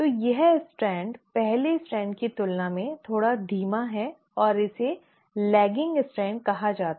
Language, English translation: Hindi, So this strand is a little is slower than the first strand and it is called as the lagging strand